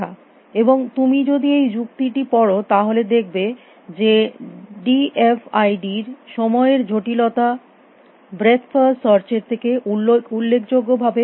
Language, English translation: Bengali, And if you go through this argument you will see that the time complexity of the d f i d is not significantly more than breath first search